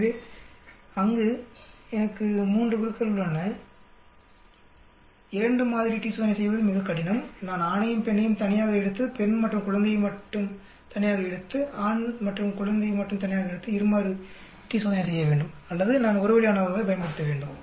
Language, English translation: Tamil, So there I have 3 groups 2 sample t test is very difficult to do whether I take male and female alone, female and infant alone, male and infant alone and do two sample t test or I have to use a one way ANOVA